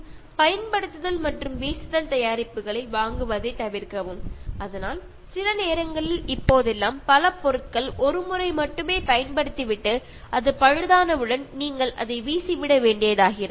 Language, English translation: Tamil, And avoid buying ‘use and throw’ products, so that is sometimes nowadays so many things have become use and throw you can use it only once and if it goes on repair you have to throw it